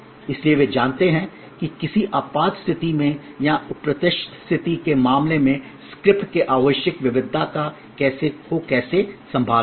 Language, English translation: Hindi, So, that they know how to handle the variations needed in the script in case of an emergency or in case of an unforeseen situation